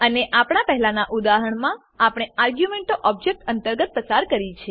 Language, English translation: Gujarati, And in our previous example we have passed the arguments within the Object